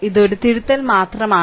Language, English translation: Malayalam, So, this is correction only right